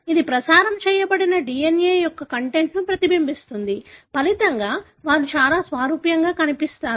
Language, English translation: Telugu, It may reflect the content of the DNA that was transmitted; as a result, they look very similar and so on